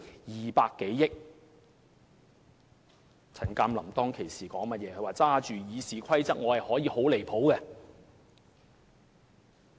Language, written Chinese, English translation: Cantonese, 前議員陳鑑林當時說自己手執《議事規則》便可以很離譜。, Mr CHAN Kam - lam even said that he could do anything outrageous with the Rules of Procedure in his hand